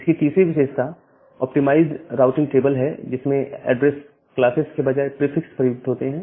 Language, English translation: Hindi, The third feature is the optimized routing table using prefixes rather than address classes